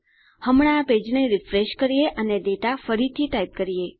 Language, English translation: Gujarati, What I will do now is refresh this page and retype my data